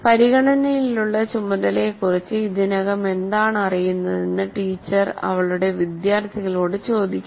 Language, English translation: Malayalam, Teacher asks her students what they already know about the task under consideration